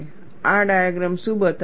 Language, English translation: Gujarati, This diagram shows what